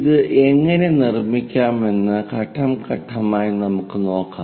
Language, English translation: Malayalam, Let us do that step by step how to construct it